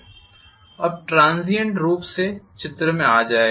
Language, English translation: Hindi, Now the transient will definitely get into picture